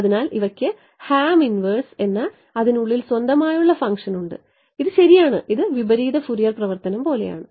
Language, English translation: Malayalam, So, these guys have a inbuilt function called harm inverse this is right this is like the inverse Fourier transforms